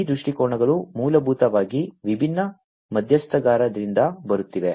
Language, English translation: Kannada, So, these viewpoints are essentially coming from these different stakeholders